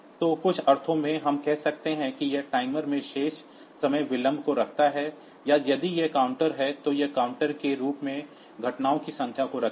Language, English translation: Hindi, So, in some sense, we can say that it holds the time delay that is remaining in the timer, or if it is counter then it will hold the number of events as a counter